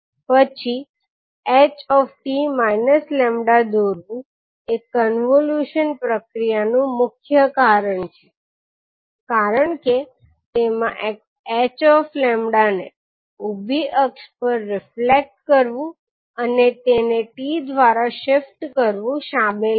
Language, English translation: Gujarati, Then sketching h t minus lambda is the key to the convolution process because it involves reflecting h lambda about the vertical axis and shifting it by t